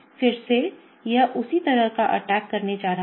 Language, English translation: Hindi, Again it is going to do the same kind of attack